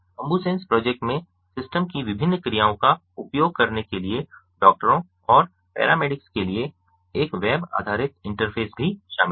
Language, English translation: Hindi, the ambusens project also incorporates a web based interface for doctors and paramedics for ah, using the different functionalities of the system